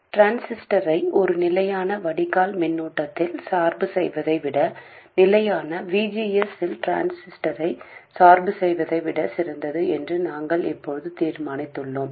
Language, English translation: Tamil, We have now determined that biasing the transistor at a constant drain current is better than biasing a transistor at a constant VGS